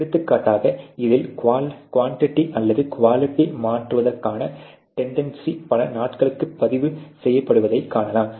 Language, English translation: Tamil, For example, you can see that there is a tendency of the quantity or the quality to shift in this is recorded over number of days